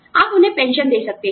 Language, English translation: Hindi, You could give them, a pension